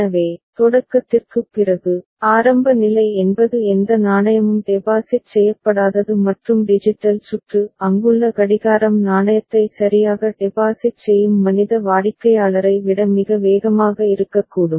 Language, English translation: Tamil, So, after the start the beginning, initial state is a that is no coin has been deposited and the digital circuit the clock that is there that could be much faster than the human customer who is depositing the coin right